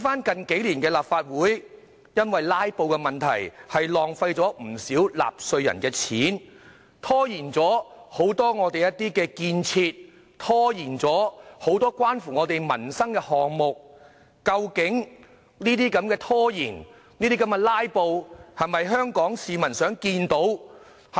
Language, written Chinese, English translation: Cantonese, 近數年，立法會因為"拉布"而浪費不少納稅人的金錢，拖延很多本港的建設，拖延很多關乎民生的項目，究竟拖延和"拉布"是否香港市民想看到的呢？, In recent years due to filibustering in the Legislative Council taxpayers money was wasted and many construction projects and items concerning peoples livelihood were delayed . Are delays and filibustering actually what Hong Kong people want to see?